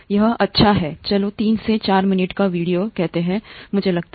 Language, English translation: Hindi, It’s a nice short, let’s say 3 to 4 minute video, I think